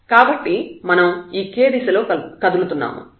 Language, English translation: Telugu, So, this k we are moving in the direction of